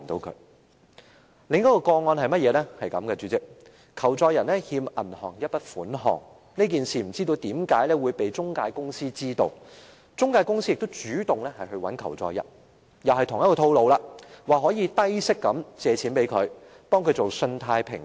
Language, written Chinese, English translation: Cantonese, 主席，另一宗個案是這樣的，求助人欠銀行一筆款項，這件事不知為何被中介公司知道了，中介公司主動聯絡求助人——同一個套路，說能提供低息借貸，為他進行信貸評級。, President in another case the person seeking assistance from us owed the bank a sum yet for reasons unknown his case was known to an intermediary company . The intermediary company contacted the victim―the same plot was adopted telling him that it could offer him a low - interest loan and conduct a credit check for him